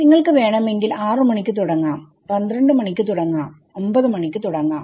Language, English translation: Malayalam, You are starting at 6 o’ clock, 12 o’ clock, 9 o’ clock ok